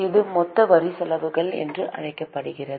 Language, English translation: Tamil, This is called as total tax expenses